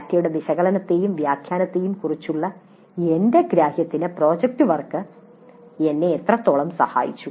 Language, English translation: Malayalam, Project work helped me in my understanding of analysis and interpretation of data